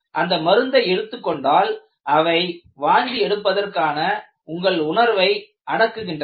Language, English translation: Tamil, In order to take that medicine, they suppress your sensation for vomiting